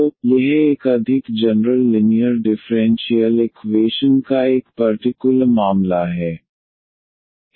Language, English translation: Hindi, So, that is a particular case of more general linear differential equations